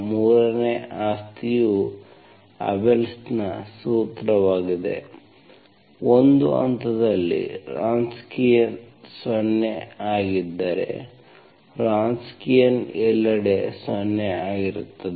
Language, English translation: Kannada, The 3rd property is the Abel’s formula, if the Wronskian at one point is 0, Wronskian is, if it is 0 at one point, Wronskian is 0 everywhere